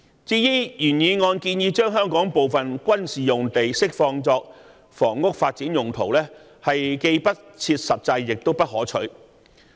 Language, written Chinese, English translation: Cantonese, 至於原議案建議將香港部分軍事用地釋放作房屋發展用途，既不切實際亦不可取。, The proposal in the original motion on releasing certain military sites in Hong Kong for housing development is both unrealistic and unacceptable